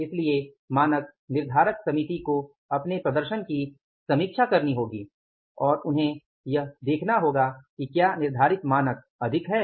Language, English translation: Hindi, So, the standard setting committee has to review their performance and they have to see that is the, are the standard set already are higher